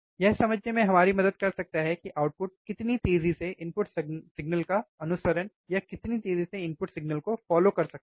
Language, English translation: Hindi, It can help us to understand, how fast the output can follow the input signal